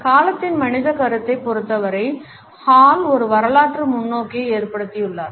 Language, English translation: Tamil, Hall has taken a historical perspective as far as the human concept of time is concerned